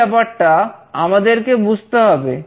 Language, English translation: Bengali, We must understand this particular thing